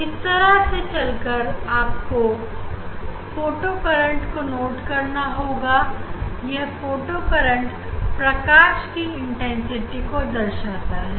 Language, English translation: Hindi, And, that photo current corresponds to photo current corresponds to the intensity of light